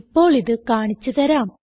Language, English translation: Malayalam, Let me demonstrate this now